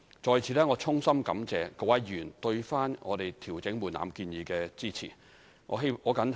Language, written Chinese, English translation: Cantonese, 在此，我衷心感謝各位議員對我們調整門檻建議的支持。, I sincerely thank all Members for supporting our proposal to adjust the thresholds